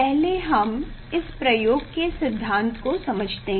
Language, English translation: Hindi, let us see the theory of that experiment